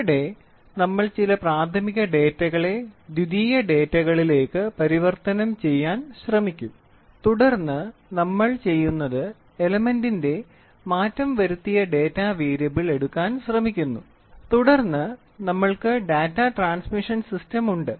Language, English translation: Malayalam, So, we will try to convert some of the primary data into a secondary data, then what we do is we try to take those conversion data variable manipulation of elements we try to do and then what we try to do is we try to have to have Data Transmission System